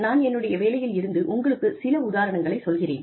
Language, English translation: Tamil, I will give you an example, from my own profession